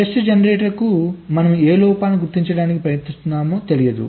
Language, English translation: Telugu, test generator does not know that which faults you are trying to detect